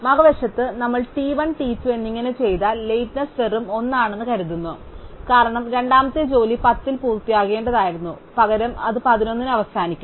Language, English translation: Malayalam, On the other hand, if we do t 1 followed by t 2, then we have that the lateness is just 1, because of the second job should have finished at 10 instead it finishes at 11